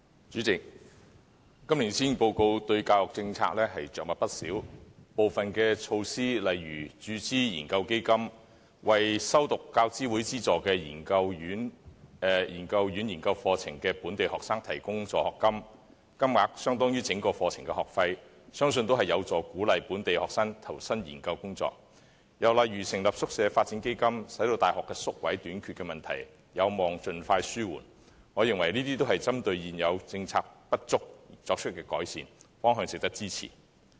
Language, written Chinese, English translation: Cantonese, 主席，今年施政報告對教育政策着墨不少，部分措施例如注資研究基金，為修讀大學教育資助委員會資助的研究院研究課程的本地學生提供助學金，金額相當於整個課程的學費，相信有助鼓勵本地學生投身研究工作；又例如成立宿舍發展基金，使大學宿位短缺的問題有望盡快紓緩，我認為這些均針對現有政策的不足而作出改善，方向值得支持。, Some measures for example the capital injection into the Research Endowment Fund to provide studentships for local students admitted to research postgraduate programmes funded by the University Grants Committee amounting to the full tuition fees of the programmes will hopefully incentivize more students to engage in research work . Another example of the measures is the establishment of a Hostel Development Fund to ease the shortfall in university hostel places as soon as possible . I consider that these improvements are made to redress the inadequacies of the existing policies the direction of which merits our support